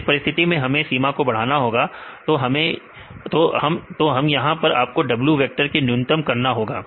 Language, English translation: Hindi, So, in this case we have to maximize the boundary, in this case you can minimize this a vector W vector